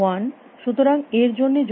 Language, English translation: Bengali, So, what is a argument for this